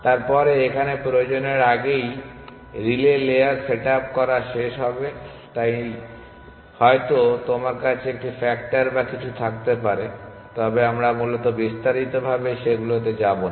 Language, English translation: Bengali, Then, it will end up setting up relay layer little bit earlier than actually it is requires, so maybe you can have a factor or something, but let us not get into those details essentially